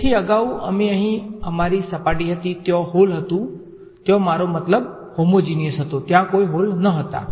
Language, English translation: Gujarati, So, previously we had our surface over here was hole right there I mean homogeneous there was there were no holes in it right